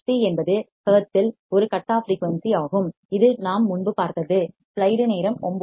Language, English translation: Tamil, F c is a cutoff frequency in hertz that we have seen earlier also